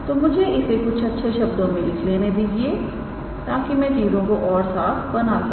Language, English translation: Hindi, So, what let me write in words just to make the things clear